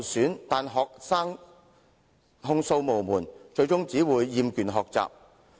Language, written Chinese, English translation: Cantonese, 可是，學生控訴無門，最終只會厭倦學習。, However having nowhere to lodge complaints students will only grow tired of learning in the end